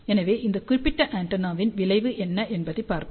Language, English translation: Tamil, Let us see the result of this particular antenna